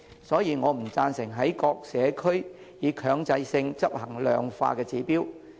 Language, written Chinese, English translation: Cantonese, 所以，我不贊成在各社區強制性執行量化的指標。, Hence I do not agree that quantitative targets should be implemented mandatorily in all communities